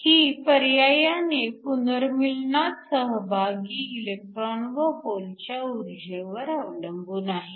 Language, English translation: Marathi, This in turn depends upon the energy of the electron and hole that are involved in recombination